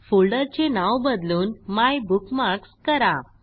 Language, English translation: Marathi, * Rename this folder MyBookmarks